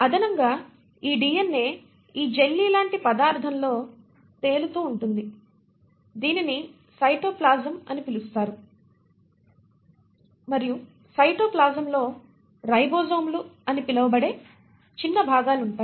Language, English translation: Telugu, In addition, this DNA is floating in this jellylike substance which is what you call as a cytoplasm and the cytoplasm consists of tiny little components which are called as ribosomes